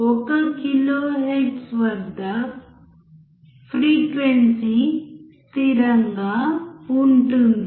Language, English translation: Telugu, Frequency is constant at 1 kilohertz